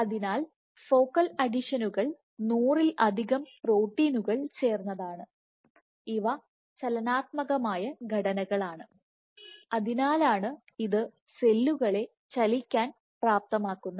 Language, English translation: Malayalam, So, focal adhesions are composed of more than hundred proteins, these are dynamic structures that is why it enables cells to migrate